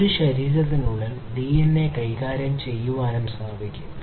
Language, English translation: Malayalam, It is also possible to basically manipulate the DNA within a body